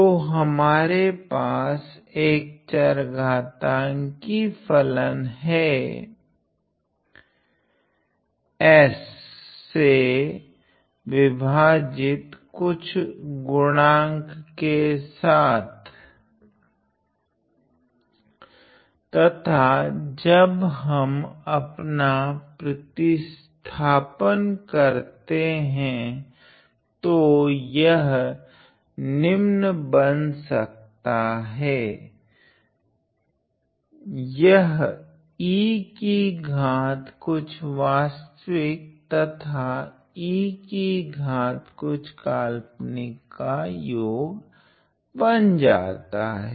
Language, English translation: Hindi, So, we have an exponential function times some argument divided by some s and when we plug in our substitution we can see that it becomes the following it becomes e to the power real of something plus e to the power imaginary of something